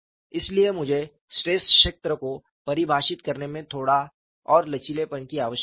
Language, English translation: Hindi, So, I need little more flexibility in defining the stress field